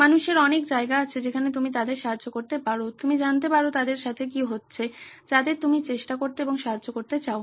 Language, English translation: Bengali, People have a lot of places where you can help them out, you can find out what is going on with them, who are you want to try and help